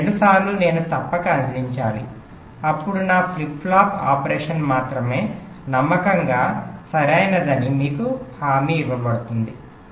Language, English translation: Telugu, these two times i must provide, then only my flip flop operation will be guaranteed to be faithfully correct, right